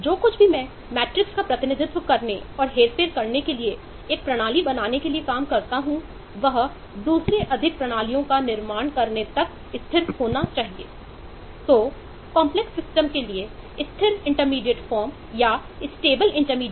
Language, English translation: Hindi, that is, whatever I make of a system to represent and manipulate matrices must be stable to work when I build up more systems on that